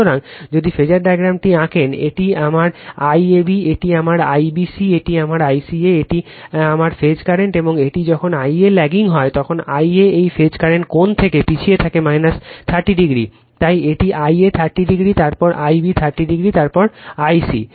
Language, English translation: Bengali, So, if you draw the phasor diagram, this is my I AB, this is my I BC this is my I CA, this is my phase current and this is when I a is lagging I a is lagging from this phase current angle minus 30 degree, that is why this is I a 30 degree then, I b 30 then I c